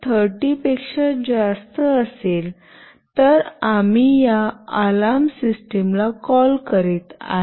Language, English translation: Marathi, 30, then we are calling this alarm system